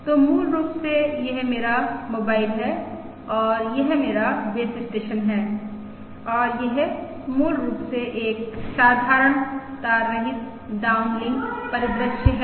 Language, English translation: Hindi, So basically this is my mobile and this is my base station and this is basically a wire simple wireless downlink scenario